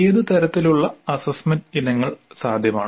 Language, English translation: Malayalam, What kind of assessment items are possible